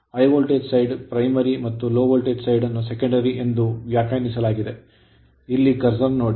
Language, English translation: Kannada, High voltage side is primary say low voltage side will define as secondary, here it is look at the curser right